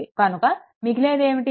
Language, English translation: Telugu, So, what will be there